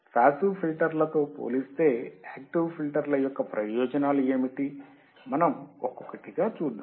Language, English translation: Telugu, Then we have to understand what are the advantages of active filters over passive filters, what are advantages, let us see one by one